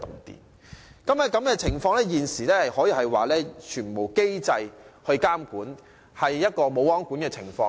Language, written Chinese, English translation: Cantonese, 現時，這種情況可說是全無機制監管，即"無皇管"的情況。, At present not any mechanism is in place to monitor the situation . In other words it is not subject to any form of control at all